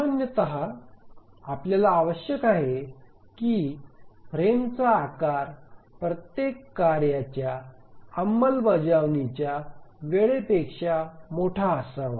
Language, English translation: Marathi, So normally we would need that a frame size should be larger than the execution time of every task